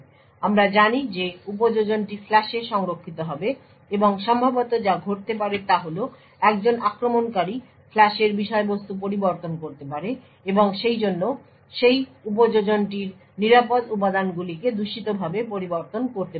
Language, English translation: Bengali, So, as we know that the application would be stored in the flash and what could possibly happen is that an attacker could modify the flash contents and therefore could modify the secure components of that application the function maliciously